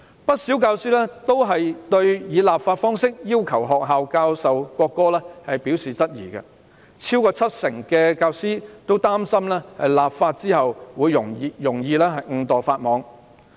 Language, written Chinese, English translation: Cantonese, 不少教師對於以立法方式要求學校教授國歌表示質疑，超過七成教師擔心立法後會容易誤墮法網。, Quite a number of teachers raised queries about requiring schools to teach the national anthem by legislation . Over 70 % of the teacher respondents worried that they might break the law inadvertently